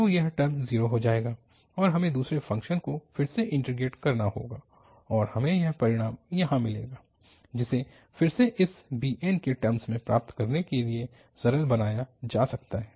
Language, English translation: Hindi, So, this term will become 0 and the second term again we have to integrate and we will get this result here, which can be simplified to get in term of this bn again and if we take this to the other side and we can simplify for bn